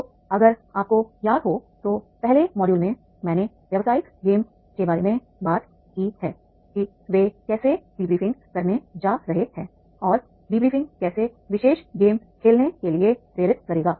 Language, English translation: Hindi, So, if you remember in the first module I have to about the business game I have talked about that is the how they are going to the debriefing and the debriefing will lead to play the particular game